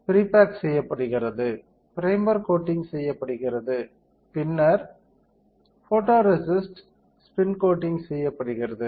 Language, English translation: Tamil, So, pre bake is done, primer coating is done, then photoresist spin coating is done